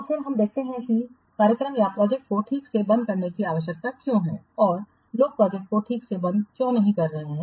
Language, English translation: Hindi, Then let's see why it is required to properly close the program or projects and why people are not properly closing the projects